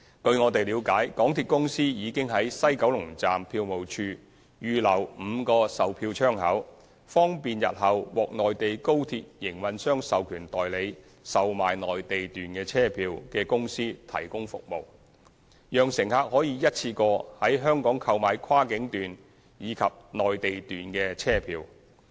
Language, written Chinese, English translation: Cantonese, 據我們了解，港鐵公司已經在西九龍站票務處預留5個售票窗口，方便日後獲內地高鐵營運商授權代理售賣內地段車票的公司提供服務，讓乘客可一次過在香港購買跨境段及內地段車票。, As far as we understand MTRCL has reserved five ticketing counters at the ticket office of WKS to facilitate the provision of service by the agent authorized by the Mainland high - speed rail operator to sell Mainland journey tickets in the future . This will allow passengers to purchase both cross boundary journey tickets and Mainland journey tickets in one go in Hong Kong